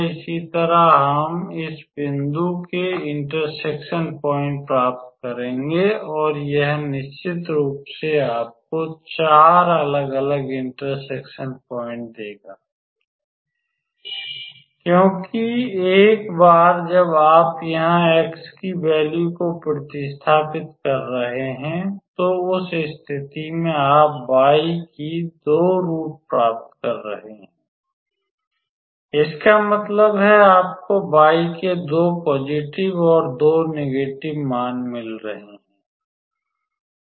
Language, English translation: Hindi, Similarly, we will get the point of intersection of this point and it will surely give you the 4 different point of intersection because once you are substituting the value of x here than in that case you are getting the 2 roots of y; that means, you are getting 2 values of y positive and negative